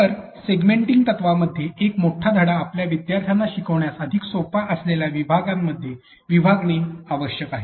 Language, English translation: Marathi, So, what we do in segmenting principles is that you need to break a long lesson or continuous lesson into smaller segments that are much more easier for your students to learn